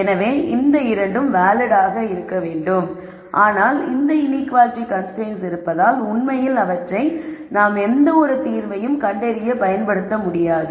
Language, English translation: Tamil, So, these 2 also have to be valid, but because these are inequality constraints we cannot actually use them to solve for anything